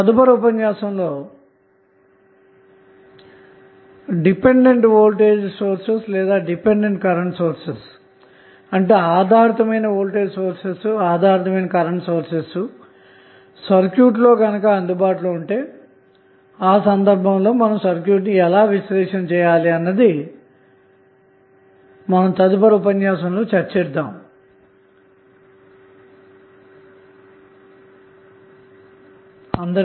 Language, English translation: Telugu, In next session we will discuss the case where we have dependent voltage or dependent current source is also available in the circuit